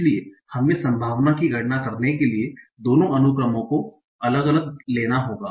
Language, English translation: Hindi, So I have to take both the sequences separately and compute the probability